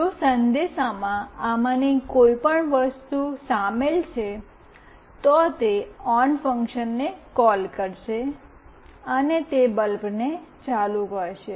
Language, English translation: Gujarati, If the message contains any of these things, then it will call the on function, and it will switch on the bulb